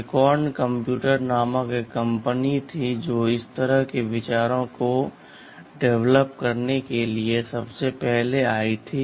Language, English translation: Hindi, There was a company called Acorn computers which that was the first to develop and evolve such ideas